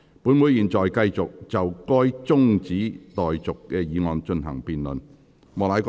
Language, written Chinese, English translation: Cantonese, 本會現在繼續就該中止待續議案進行辯論。, Council now continues the debate on the adjournment motion